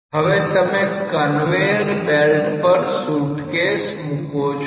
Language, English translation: Gujarati, Now a suitcase is put on the top of the conveyor belt